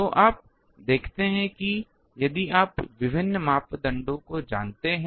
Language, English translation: Hindi, So, you see that if you know various parameters